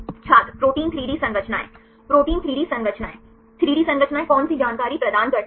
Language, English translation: Hindi, Protein 3D structures Protein 3D structures 3D structures provides which information